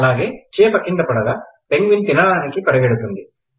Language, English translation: Telugu, Then, as the fish falls, the penguin runs to eat them